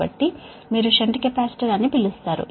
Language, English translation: Telugu, you will see the shunt capacitors are there